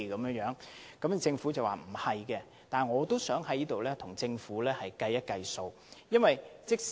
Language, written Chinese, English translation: Cantonese, 雖然政府已作出否認，但我想在這裏跟政府計一計時間。, Although the Government has dismissed such an allegation I would like to do some calculations for the Government